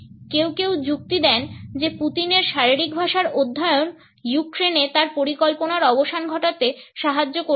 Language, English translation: Bengali, Some argues study in Putin’s body language could help to terminate his intensions in Ukraine